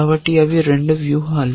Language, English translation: Telugu, So, those are the 2 strategies